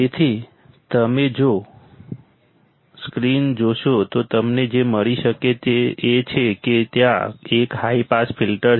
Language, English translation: Gujarati, So, if you see the screen what you can find is that there is a high pass filter